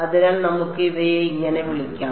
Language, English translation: Malayalam, So, let us call these like this right